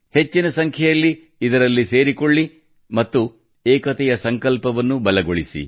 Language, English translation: Kannada, You should also join in large numbers and strengthen the resolve of unity